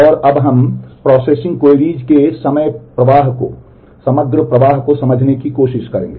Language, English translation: Hindi, And now we will try to understand the overall flow of processing queries